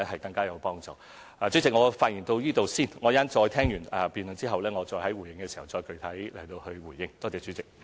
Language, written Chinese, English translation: Cantonese, 代理主席，我的發言到此為止，在聆聽辯論後我會再在會議上作具體回應。, Deputy President I will stop speaking here . Later in the meeting I will make concrete responses after listening to the debate